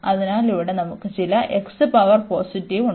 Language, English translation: Malayalam, So, here we have in that case also some x power positive there